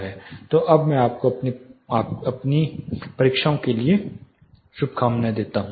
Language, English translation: Hindi, So, now, I wish you all the best for your exams